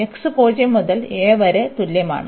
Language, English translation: Malayalam, So, x is equal to 0 to a